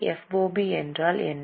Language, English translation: Tamil, What is fob